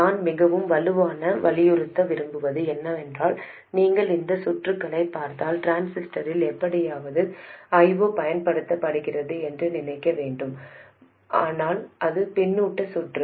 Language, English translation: Tamil, What I want to emphasize very strongly is that if you look at this circuit, don't think of it as I 0 being somehow applied to the transistor